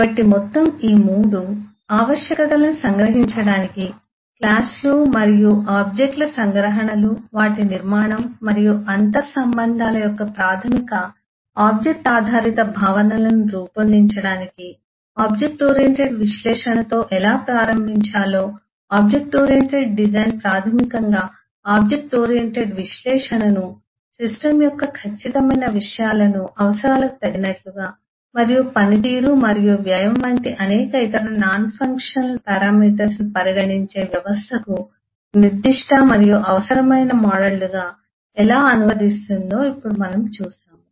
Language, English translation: Telugu, so of all these 3 now we have seen how we start with object oriented analysis to can the requirements to generate the basic object oriented concepts of abstractions of classes and objects, their structure and inter relationship, how object oriented design basically translates the object oriented analysis into models that are specific and required for the system, keeping the exact contents of the system and several other non functional parameters like performance and cast and also into mind